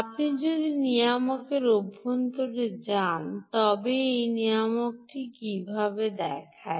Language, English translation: Bengali, if you go inside of the regulator, how does it look